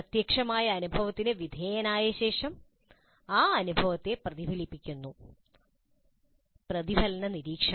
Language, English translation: Malayalam, Having undergone the concrete experience, the learner reflects on that experience, reflective observation